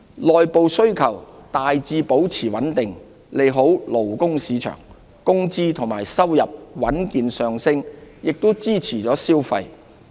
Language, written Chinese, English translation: Cantonese, 內部需求大致保持穩定，利好勞工市場。工資及收入穩健上升亦支持消費。, Domestic demand remained largely stable contributing favourably to the labour market with solid rises in wages and earnings underpinning consumption